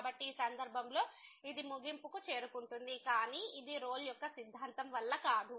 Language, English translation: Telugu, So, in this case it is reaching the conclusion, but this is not because of the Rolle’s Theorem